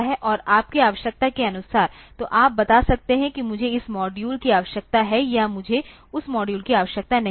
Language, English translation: Hindi, And as per your requirement, so you can tell that I need this module or I do not need that module